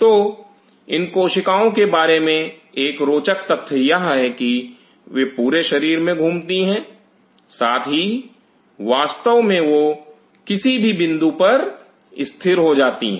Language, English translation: Hindi, So, one interesting feature about these cells are that, they travel all over the body yet really, they anchor at any point